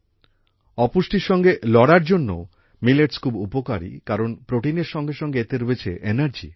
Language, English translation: Bengali, Millets are also very beneficial in fighting malnutrition, since they are packed with energy as well as protein